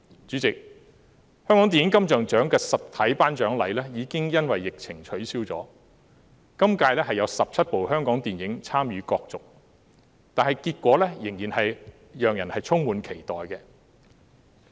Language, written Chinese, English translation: Cantonese, 主席，香港電影金像獎的實體頒獎禮已因疫情取消，今屆有17齣香港電影參與角逐，結果令人充滿期待。, President the physical presentation ceremony of the Hong Kong Film Awards has been cancelled because of the epidemic . This year 17 Hong Kong films contest for the awards . The announcement of the results is eagerly anticipated